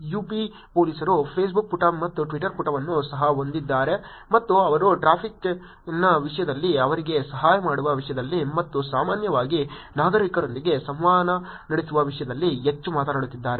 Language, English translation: Kannada, UP Police also has a Facebook page and a Twitter page and they also seem to be talking more about the activities in terms of traffic in terms of helping them and in terms of generally interacting with the citizens